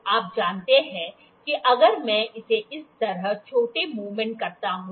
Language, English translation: Hindi, So, you know if I do make it small movement like this